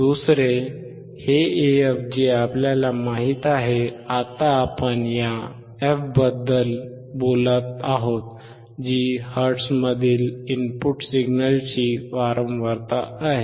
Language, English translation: Marathi, Second, this AF we know now we are talking about this f is the frequency of the input signal in hertz